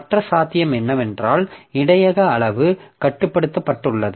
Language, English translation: Tamil, One possibility is that buffer is unbounded in size